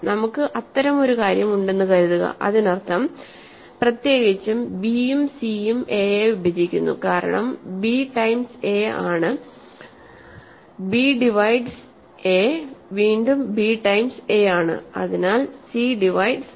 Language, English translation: Malayalam, Suppose, we have such a thing; that means, in particular remember that means, b divides a and c divides a, because b times is a, b divides a, again b times is a, so c also divides a